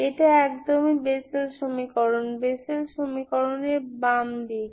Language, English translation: Bengali, This is exactly Bessel equation, Bessel equation, left hand side of the Bessel equation